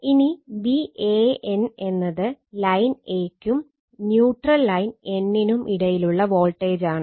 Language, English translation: Malayalam, Now, so V a n voltage between line a and neutral line n right neutral line n, this I told you